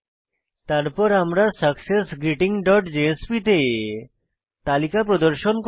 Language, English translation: Bengali, Then in successGreeting dot jsp we will display the list